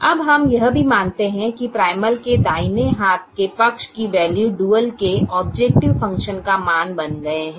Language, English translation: Hindi, now we also observed that the right hand side values of the primal have become the objective function values of the dual